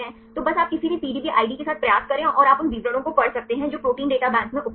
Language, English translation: Hindi, So, just you try with any of the PDB IDs right and you can read the details, which are available in Protein Data Bank right